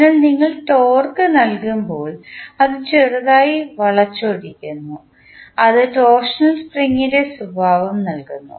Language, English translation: Malayalam, So, when you give torque it twists slightly which give the property of torsional spring